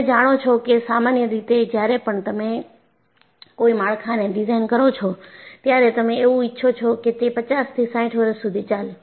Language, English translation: Gujarati, Now, normally when you design a structure, you want it to come for 50 to 60 years